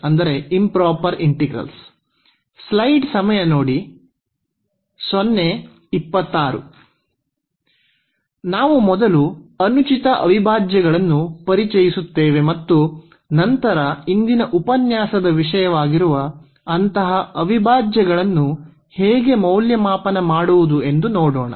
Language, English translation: Kannada, So, we will introduce first the improper integrals and then how to evaluate such integrals that will be the topic of today’s lecture